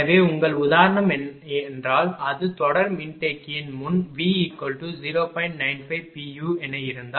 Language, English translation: Tamil, Suppose if before series capacitor if it is V is equal to say 0